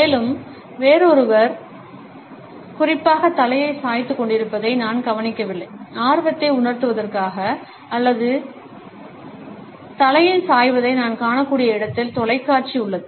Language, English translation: Tamil, And moreover, I barely noticed anyone else doing the head tilt especially, not for the sake of raising interest, but where we can see the head tilt in action is the television